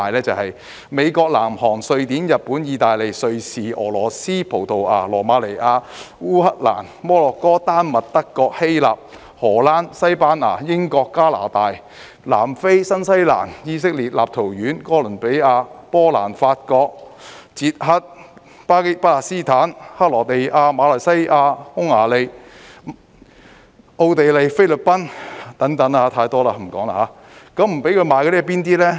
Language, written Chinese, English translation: Cantonese, 就是美國、南韓、瑞典、日本、意大利、瑞士、俄羅斯、葡萄牙、羅馬尼亞、烏克蘭、摩洛哥、丹麥、德國、希臘、荷蘭、西班牙、英國、加拿大、南非、新西蘭、以色列、立陶宛、哥倫比亞、波蘭、法國、捷克、巴勒斯坦、克羅地亞、馬來西亞、匈牙利、奧地利、菲律賓等，太多了，不說了。, They are The United States US South Korea Sweden Japan Italy Switzerland Russia Portugal Romania Ukraine Morocco Denmark Germany Greece the Netherlands Spain the United Kingdom Canada South Africa New Zealand Israel Lithuania Colombia Poland France the Czech Republic Palestine Croatia Malaysia Hungary Austria the Philippines and so on . There are so many of them that I am not going to mention them all